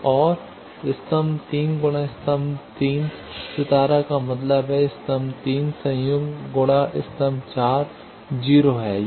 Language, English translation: Hindi, So, and column 3 dot column 3 star that means, column 3 conjugate dot column 4 is 0